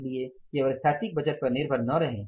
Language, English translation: Hindi, So, don't only rely upon the static budget